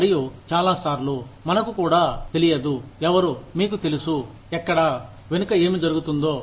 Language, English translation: Telugu, And, many times, we do not even know, who, you know, where, what is happening, at the back